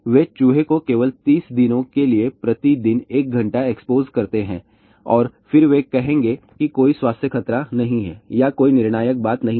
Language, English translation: Hindi, They will expose the rat only for let us say one hour per day for 30 days and then they will say there is a no health hazard or there is a no conclusive thing